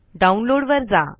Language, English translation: Marathi, Go to downloads